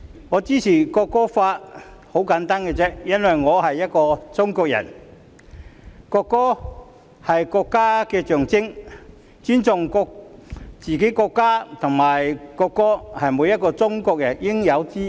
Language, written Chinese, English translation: Cantonese, 我支持《條例草案》的理由十分簡單，因為我是中國人，國歌是國家的象徵，尊重自己國家和國歌是每個中國人應有之義。, I support the Bill for the very simple reason that I am Chinese . The national anthem symbolizes the country and it is incumbent upon every Chinese to respect our own country and national anthem